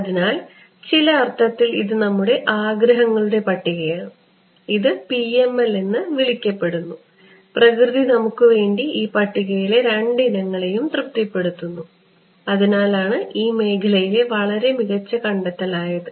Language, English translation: Malayalam, So, in some sense, this is our wish list and nature is kind enough for us that this so called PML things it satisfies both these items of the visualist which is why it was a very good discovery in the field